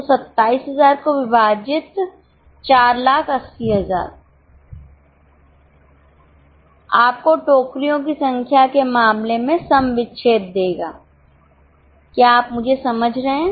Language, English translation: Hindi, So, 4,000 divided by 27 will give you break even in terms of number of baskets